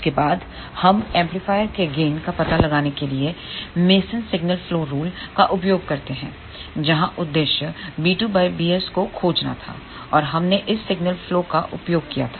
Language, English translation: Hindi, After that, we use masons signal flow rule to find out the gain of the amplifier, where the objective was to find b 2 divided by b s and we had used this signal flow